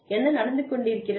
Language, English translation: Tamil, What is going on